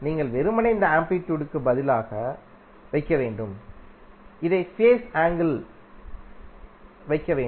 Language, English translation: Tamil, You have to just simply put this value in place of amplitude and this as a phase angle